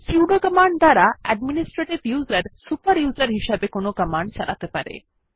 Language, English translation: Bengali, Sudo command allows the administrative user to execute a command as a super user